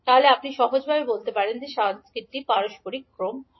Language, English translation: Bengali, So, you can simply say that this particular circuit is reciprocal circuit